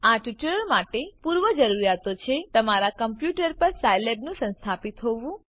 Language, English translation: Gujarati, The prerequisite for this tutorial are Scilab should be installed on your computer